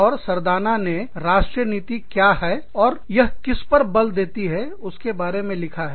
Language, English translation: Hindi, And, Sardana has talked about, what the policy does, and what it enforces